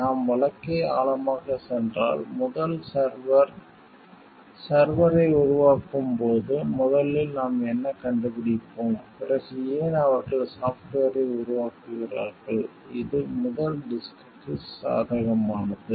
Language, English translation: Tamil, Like if we go in depth of the case, then what we find like first when first server is making the server, then why they are making the software, which is more like favorable to the first disk